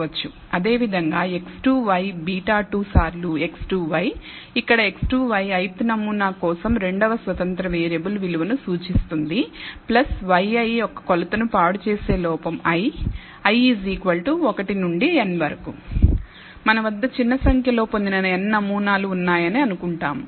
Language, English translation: Telugu, Similarly, x 2 y beta 2 times x 2 y, where x 2 y represents the value of the second independent variable for the ith sample and so on plus an error i that corrupts the measurement of y i and so on for i equals 1 to n